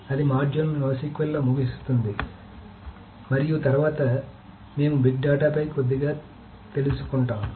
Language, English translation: Telugu, So that ends the module on NoSQL and later we will touch on a little bit on big data